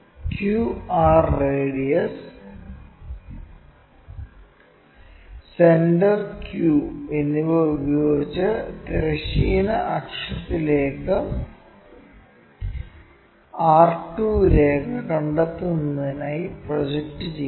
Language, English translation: Malayalam, We have located p and also r from r and q r radius, from qr radius project it on to this horizontal axis, to locate r 2 line